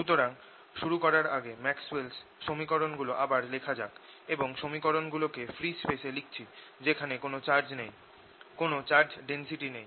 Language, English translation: Bengali, so to start with lets write all the maxwell's equations once more, and i am writing them in free space, free space and there is no charge, no charge density